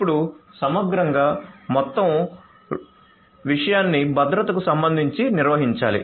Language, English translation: Telugu, Now holistically the whole thing; whole thing has to be managed with respect to security